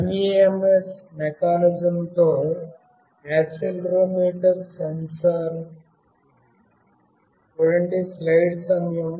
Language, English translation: Telugu, This is the accelerometer sensor with MEMS mechanism